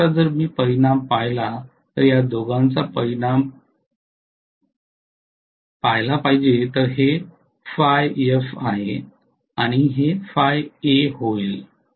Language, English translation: Marathi, So now if I look at the resultant I have to look at the resultant of these two this is phi f and this is going to be phi a